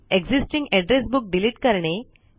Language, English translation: Marathi, Delete an existing Address Book